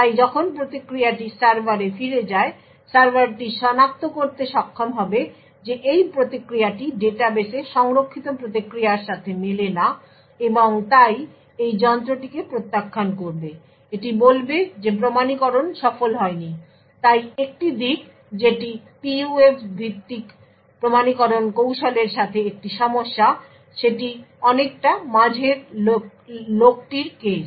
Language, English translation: Bengali, Therefore when the response goes back to the server, the server would be able to identify that this response does not match the response stored in the database and therefore it would reject the device, it would say that the authentication is not successful, so one aspect that is an issue with PUF based authentication technique is the case of the man in the middle